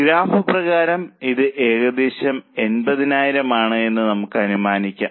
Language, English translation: Malayalam, As for the graph, let us assume it is around 80,000